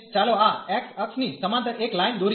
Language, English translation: Gujarati, Let us draw a line parallel to this x axis